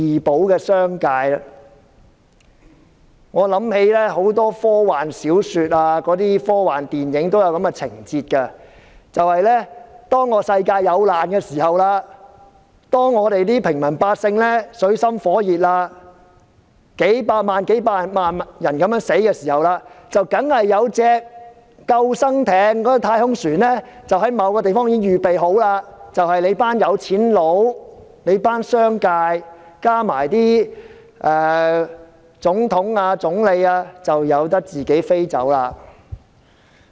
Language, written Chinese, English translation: Cantonese, 我想起很多科幻小說、科幻電影都有這情節，即當世界有難，平民百姓水深火熱，數以百萬計的人相繼死去時，總有艘救生艇或太空船在某個地方預備好，接載那群富人、商界，加上總統、總理離開。, It reminds me of a frequent scene in many science fictions and sci - fi movies in which the world is in calamity and ordinary people are in dire straits and dying in millions . At this time there is always a lifeboat or space craft parking somewhere ready to rescue the rich business tycoons and presidents and prime ministers of countries